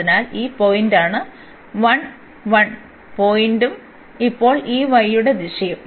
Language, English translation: Malayalam, So, this was the point the 1 1 point and in the direction of this y now